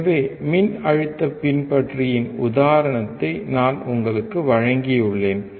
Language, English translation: Tamil, So, I have given you an example of voltage follower